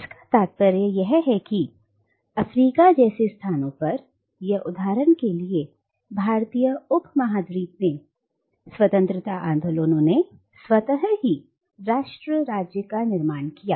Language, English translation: Hindi, Which means that independence movements in places like Africa for instance, or in the Indian subcontinent, almost automatically led to the formation of nation state